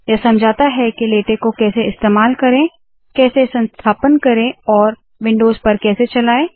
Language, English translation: Hindi, These explain how to use latex, this explains how to install and run latex on windows